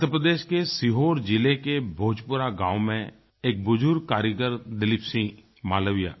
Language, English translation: Hindi, Dileep Singh Malviya is an elderly artisan from Bhojpura village in Sehore district of Madhya Pradesh